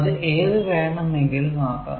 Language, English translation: Malayalam, ok, but it can be anything